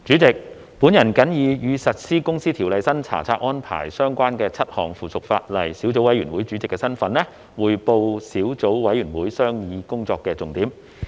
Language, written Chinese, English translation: Cantonese, 主席，我謹以與實施《公司條例》新查冊安排相關的7項附屬法例小組委員會主席的身份，匯報小組委員會商議工作的重點。, President in my capacity of the Chairman of the Subcommittee on Seven Pieces of Subsidiary Legislation Relating to the Implementation of the New Inspection Regime of the Companies Register under the Companies Ordinance I report on the major deliberations of the Subcommittee